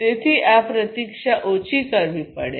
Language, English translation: Gujarati, So, this waiting has to be minimized